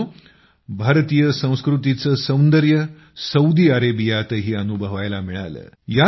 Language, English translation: Marathi, Friends, the beauty of Indian culture was felt in Saudi Arabia also